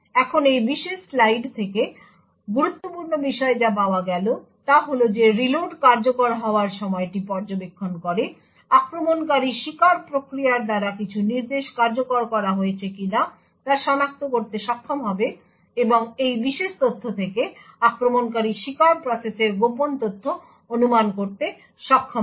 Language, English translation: Bengali, Now the important take away from this particular slide is the fact that by monitoring the execution time of the reload, the attacker would be able to identify whether certain instructions were executed by the victim process or not, and from this particular information the attacker would then be able to infer secret information about that victim process